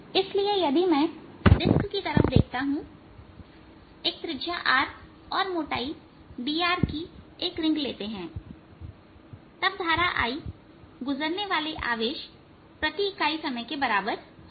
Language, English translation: Hindi, so if i look at this disc, take a ring of thickness delta r, radius r then the current i is the charge passing per unit time